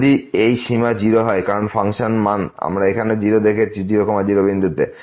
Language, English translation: Bengali, If this limit is 0 because the function value we have seen a 0 here at